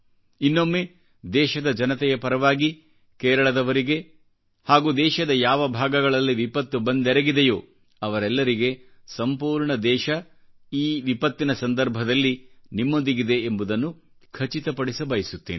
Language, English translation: Kannada, Once again on behalf of all Indians, I would like to re assure each & everyone in Kerala and other affected places that at this moment of calamity, the entire country stands by them